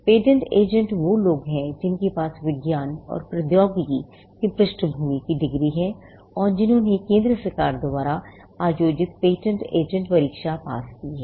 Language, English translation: Hindi, The patent agent are people who have a background degree in science and technology and who have cleared the patent agent examination conducted by the Central Government